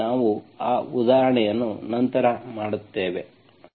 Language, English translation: Kannada, So we will do that example later